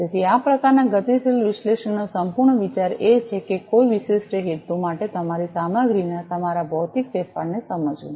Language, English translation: Gujarati, So, the whole idea of this type of dynamic analysis is to understand your material modification of your material for a particular purpose